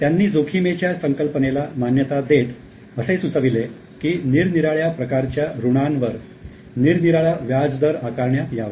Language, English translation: Marathi, He has recognized the concept of risk and suggested that different rate of interest for loans be charged